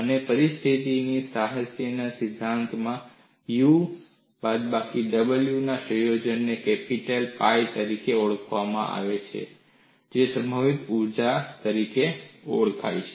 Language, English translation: Gujarati, And in theory of elasticity literature, the combination of U minus W external is termed as capital pi; it is known as potential energy